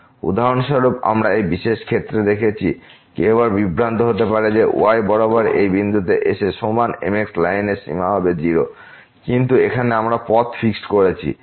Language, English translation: Bengali, For example, we have seen in this particular case, one might again get confused that approaching to this point along is equal to line will also give limit as 0, but here we have fixed the path